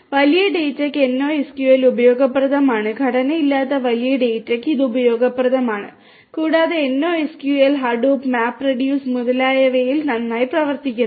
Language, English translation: Malayalam, So, NoSQL is useful for big data is useful for unstructured big data and so on and NoSQL works very well with Hadoop, MapReduce etcetera